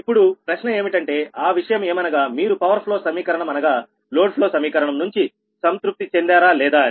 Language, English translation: Telugu, question is that: your your subject to the satisfaction of the power flow equation, that is, the load flow equations